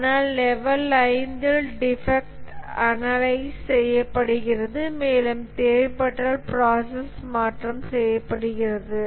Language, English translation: Tamil, Whereas in the level 5, the defects are analyzed, they are causes and if necessary the process would be changed